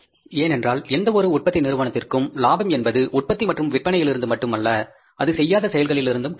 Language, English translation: Tamil, Because profit to any manufacturing organization is not only from the production and sales, it is from the non operating activities also